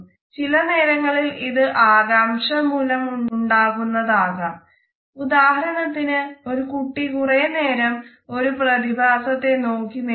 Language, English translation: Malayalam, Sometimes it can also be related with simple curiosity for example, a child is staring a phenomena for a long duration